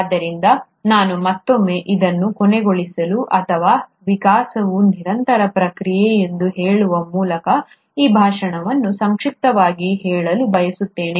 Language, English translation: Kannada, So I would like to again, end this, or rather summarize this talk by saying that evolution is a continuous process